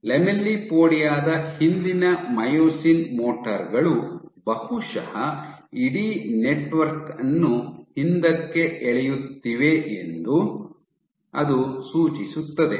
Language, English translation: Kannada, it suggests that probably it is again the myosin motors behind the lamellipodia which is pulling the entire network backwards